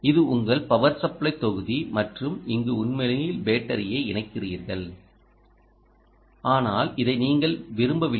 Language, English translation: Tamil, this is your power supply block and to this your actually connecting a battery, ok, ah, but you dont want this